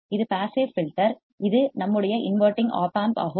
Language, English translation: Tamil, This is the passive filter and this is our non inverting op amp